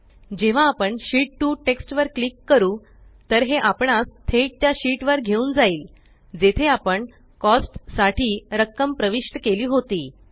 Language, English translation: Marathi, Now, when we click on the text Sheet 2, it directly takes us to the sheet where we had entered the balance for Cost